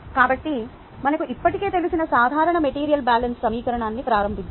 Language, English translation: Telugu, so let us begin the general material balance equation that we already know